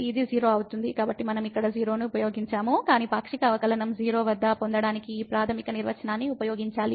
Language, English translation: Telugu, Therefore, we have used here 0, but we have to use this fundamental definition to get the partial derivative at 0